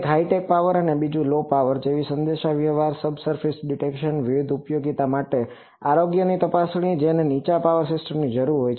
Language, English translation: Gujarati, One is high power or low power like communication, subsurface detection, health check up for various utilities that requires low power systems